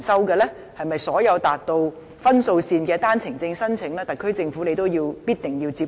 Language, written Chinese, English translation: Cantonese, 對於所有達到分數線的單程證申請，特區政府是否也必定要接收？, Regarding the OWP applications that meet the threshold is it mandatory for the SAR Government to accept all the applicants?